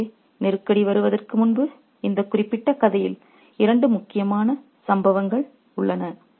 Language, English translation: Tamil, So, we have two major incidents in this particular story before the crisis actually arrives